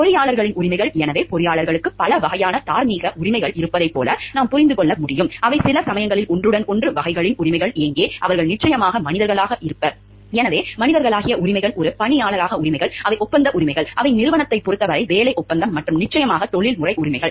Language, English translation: Tamil, The rights of engineers are, so we can understand like engineers have several types of moral rights which fall into, sometimes overlapping categories of like where the rights of, they are human beings of course; So, rights as human beings, rights as employee which are the contractual rights, which they have a with respect to the organization; the employment contract and of course as the professional rights